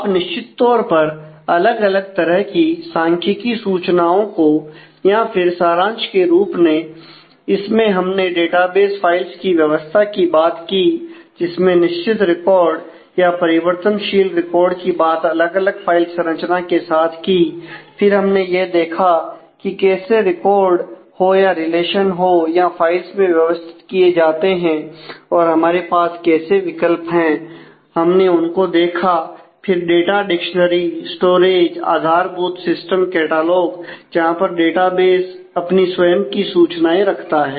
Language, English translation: Hindi, You can certainly use different kinds of statistical information and in summary; so on this we have talked about the basic organization of database files starting from the fixed record to variable record handling of the different file organization and try to take a look in terms of how records and relations are organized in terms of the in terms of the files and what are the options that we have and we took a look at the data dictionary storage the basic system catalogue, where database keeps its own information